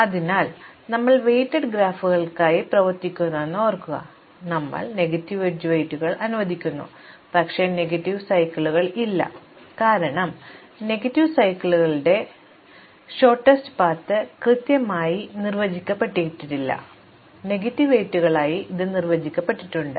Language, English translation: Malayalam, So, recall that we are working with weighted graphs, we allow negative edge weights, but not negative cycles, because with negative cycles our shortest path is not well defined, with negative weights, it is well defined